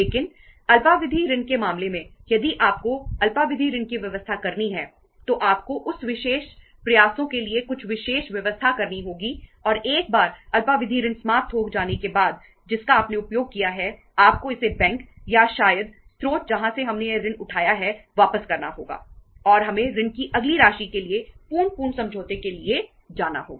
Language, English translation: Hindi, But in case of the short term loan, if you have to arrange the short term loan you have to make some special arrangements for that special efforts for that and once that short term loan is exhausted you have utilized that, you have to repay it back to the bank or maybe the source from where we have raised and we have to go for the complete full fledged boring agreement for the next say say uh amount of the loan